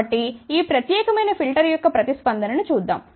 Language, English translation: Telugu, So, let us see the response of this particular filter